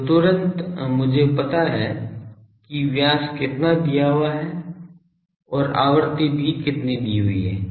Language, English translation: Hindi, So, immediately I know what is the diameter is given and also the frequency is given